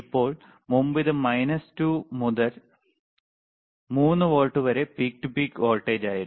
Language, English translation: Malayalam, So now, the instead of earlier it was minus 2 volts to 3 volts peak to peak voltage